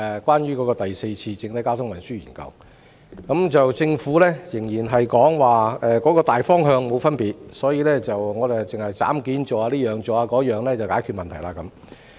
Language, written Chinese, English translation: Cantonese, 關於第四次整體運輸研究，政府仍然認為大方向沒有分別，所以只需要採取一些"斬件式"的措施，便可解決問題。, With regard to the fourth comprehensive transport study the Government still maintains its general direction and considers that the problem can be resolved with the adoption of some piecemeal measures